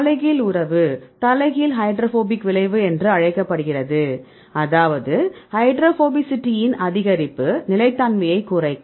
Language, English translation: Tamil, Inverse relationship right there is called the inverse hydrophobic effect; that means, the change in increase in hydrophobicity you will decrease the stability